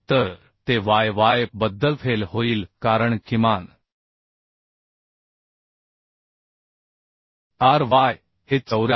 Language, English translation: Marathi, 56 So it will fail about y y because minimum ry is 74